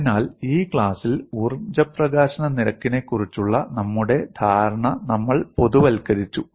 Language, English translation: Malayalam, So, in this class, we have generalized our understanding on energy release rate